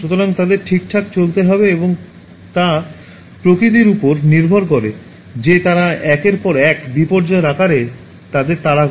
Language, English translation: Bengali, So, they have to move okay, and depending on the nature that is chasing them in the form of one calamity after another